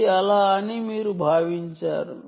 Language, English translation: Telugu, you assumed that it is a